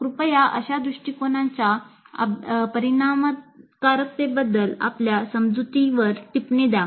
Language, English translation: Marathi, Please comment on your perception regarding the effectiveness of such an approach